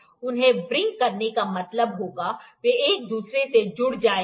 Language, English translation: Hindi, Wring them would mean, they would attach with each other